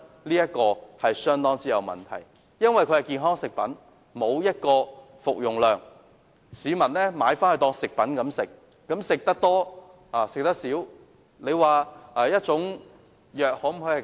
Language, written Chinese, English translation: Cantonese, 由於產品宣稱是健康食品，沒有訂明服用劑量，市民購買當作食品服用，吃多吃少，悉隨尊便。, As such products claim themselves to be health food products without specifying any dosage people buying such products as foodstuffs may decide the dosage on their own each time